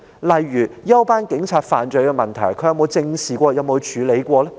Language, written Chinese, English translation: Cantonese, 例如，休班警察犯罪問題，他有否正視及處理過呢？, For example has he ever faced up to and dealt with the issue of off - duty police crime?